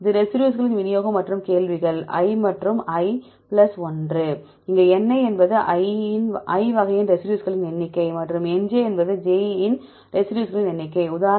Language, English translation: Tamil, This is distribution of residues and the questions i and i plus 1; here Ni is the number of residues of type of i and Nj is the number of residues of type j